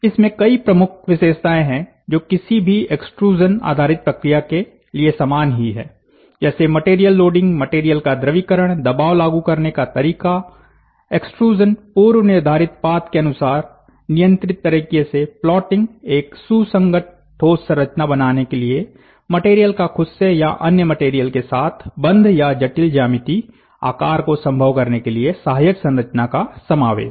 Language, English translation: Hindi, So, there are number of key features that are common to any extrusion based process: loading of material, liquefaction of material, application of pressure, extrusion, plotting according to the predefined path in a controlled manner, bonding of material to itself or a secondary build material to form a coherent solid structure, inclusion of supporting structure to enable complex geometry features